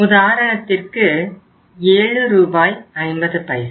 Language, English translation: Tamil, Say for example it is 7 Rs and 50 paise